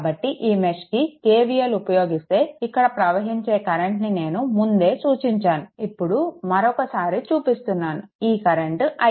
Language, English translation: Telugu, So, if you apply KVL in this mesh the current is I already I have marked it, but I am just making it again, the current is i